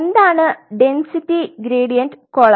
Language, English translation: Malayalam, So, what is the density gradient column